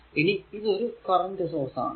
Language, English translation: Malayalam, So, this is a current source